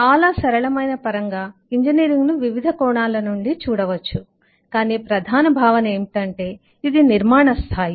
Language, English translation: Telugu, engineering, in very simple terms, can be look at from different angles, but the core concept is: it is a scale of construction